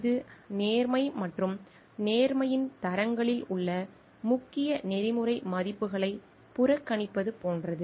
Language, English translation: Tamil, It is like disregarding the major ethical values in standards of honesty and integrity